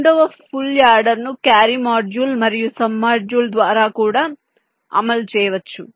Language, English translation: Telugu, the second full order can also be implemented by a carry module and a sum module, and so on